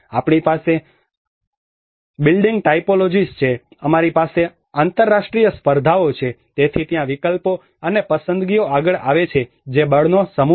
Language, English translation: Gujarati, we have the building typologies, we have the international competitions, so there is options and choices come forward which is a set of force